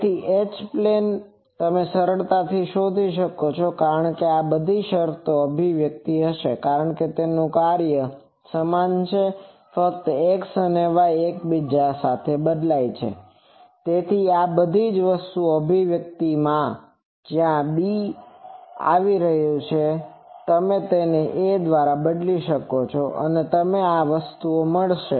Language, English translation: Gujarati, So, H plane you can easily find out because same things that the all these terms will be similar expressions because the function is same only the x and y are interchanged that is why in all this expression, where b is coming; you replace it by a, you get the these things